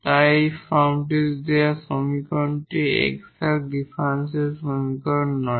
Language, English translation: Bengali, Of course, so, this equation given in this form is not an exact differential equation